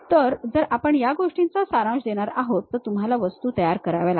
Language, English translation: Marathi, So, if we are going to summarize this thing, you prepare the objects